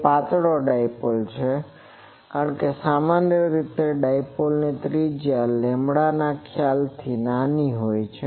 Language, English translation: Gujarati, It is a thin dipole, because the usually dipoles radius is quite small in terms of lambda